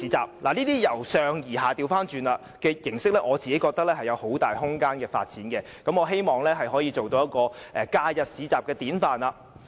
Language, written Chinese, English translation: Cantonese, 這種倒過來由上而下的形式，我覺得是有很大發展空間的，亦希望它可以成為假日市場的典範。, This top - down approach will provide much room for developing bazaars and I hope that such a market will become a prototype of holiday bazaars